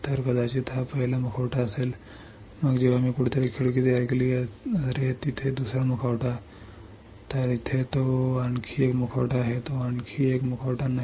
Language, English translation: Marathi, So, maybe this is the first mask, then when I created window somewhere oh here a second mask, then oh here is it one more mask no no no it is not one more mask